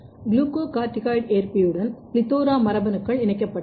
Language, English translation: Tamil, So, PLETHORA genes was fused with the glucocorticoid receptor